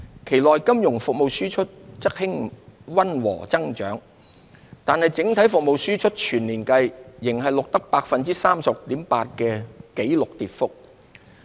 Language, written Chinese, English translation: Cantonese, 期內金融服務輸出則溫和增長，但整體服務輸出全年計仍錄得 36.8% 的紀錄跌幅。, Exports of financial services saw a moderate growth in the period but total exports of services still registered a record decline of 36.8 % for the year as a whole